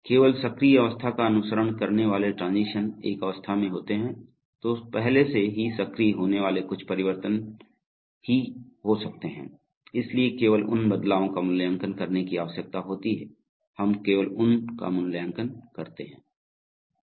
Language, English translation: Hindi, Only transitions following active state, so again when you are in an state, already which is active only certain transitions can occur, so therefore only those transitions need to evaluated, so we only those are evaluated